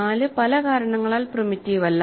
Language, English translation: Malayalam, 4 is not primitive for many reasons